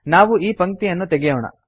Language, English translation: Kannada, Let us remove this line